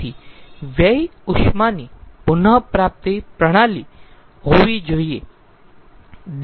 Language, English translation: Gujarati, so we have to have a waste heat recovery system